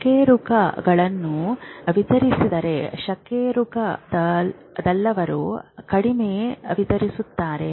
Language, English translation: Kannada, Vertebrates have more distributed, non vertebrates have less distributed